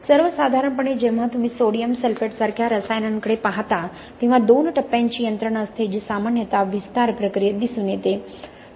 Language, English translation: Marathi, In general what you see is when you look at chemicals like sodium sulphate there is a two stage mechanism that is typically observed in the expansion process